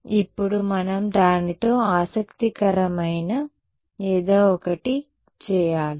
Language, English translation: Telugu, Now, we have to do something interesting with it yeah